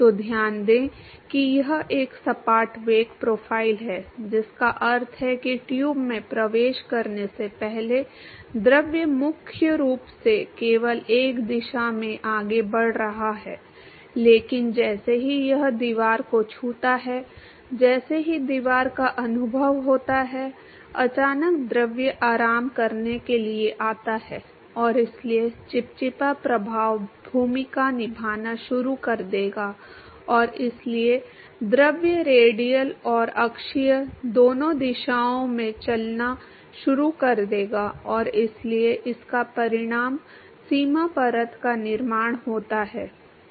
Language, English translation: Hindi, So, note that it is a flat velocity profile which means before it enters the tube the fluid is primarily moving in only one direction, but as soon as it touches the wall as soon as the experience the wall its suddenly the fluid comes to rest and so the viscous effect will start playing role and therefore, the fluid will start moving in both direction both radial and the axial direction and therefore, it results in the formation of boundary layer